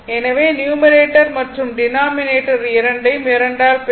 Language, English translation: Tamil, So, here also numerator and denominator you multiply by 2